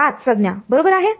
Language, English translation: Marathi, 5 terms right